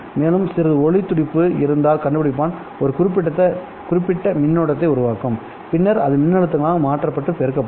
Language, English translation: Tamil, And if there is some light pulse, the detector will produce a certain current which will then be converted into a voltage and amplified